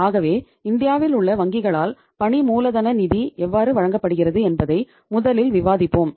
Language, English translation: Tamil, So let us see first discuss that how the working capital finance is provided by the banks in India